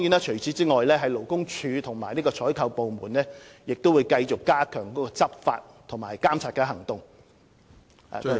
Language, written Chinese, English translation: Cantonese, 除此之外，勞工處和採購部門亦會繼續加強採取執法和監察行動。, In addition the Labour Department and procurement departments will also continue to step up their enforcement and regulatory efforts